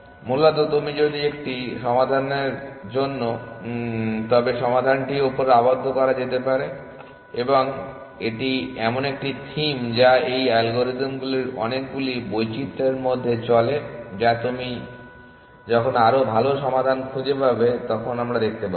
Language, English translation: Bengali, Essentially if you know one solution the solution can be made the upper bound and that is a theme which runs in too many variations of these algorithms that we are going to see either as and when you find better solutions